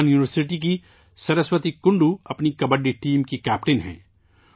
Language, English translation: Urdu, Similarly, Saraswati Kundu of Burdwan University is the captain of her Kabaddi team